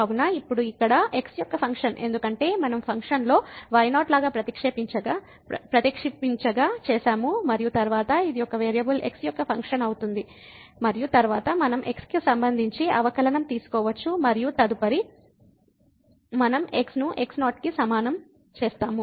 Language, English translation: Telugu, So, now, this is here the function of because we have substituted like in the function and then, this become a function of one variable and then, we can take the derivative with respect to and then later on we can substitute is equal to